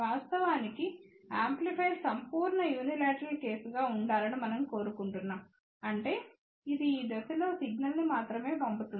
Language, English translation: Telugu, In fact, we would like an amplifier to be perfectly unilateral case; that means, it only send signals in this direction